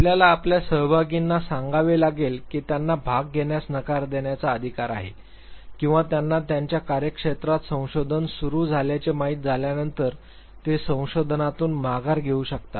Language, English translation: Marathi, You also have to tell your participants that they have the right to decline to participate or they can even withdraw from the research after they have know began their activities in the research